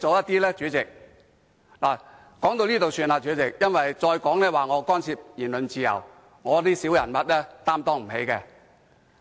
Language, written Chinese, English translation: Cantonese, 代理主席，我說到這裏便算，因為我再說下去，或會被指干涉言論自由，我這種小人物擔當不起。, Deputy President I would not make further remarks on this point; if I make further remarks I may be accused of interfering with the freedom of speech and small potatoes like me can hardly bear the burden